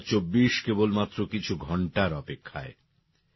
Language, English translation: Bengali, 2024 is just a few hours away